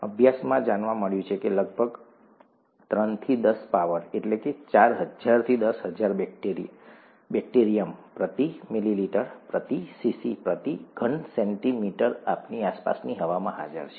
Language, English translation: Gujarati, Studies have found that about ten power three to ten power four thousand to ten thousand bacterium per milliliter, okay, per cc, per cubic centimeter, are present in the air around us